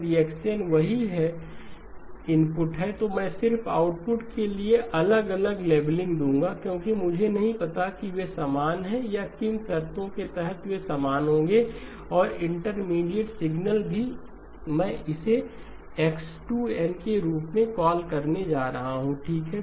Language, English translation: Hindi, If this is X of N same input, I will just give different labelling for the outputs because I do not know if they are equal or under what conditions they will be equal and the intermediate signal also I am going to call it as X2 to N okay